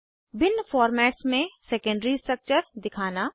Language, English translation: Hindi, * Display secondary structure in various formats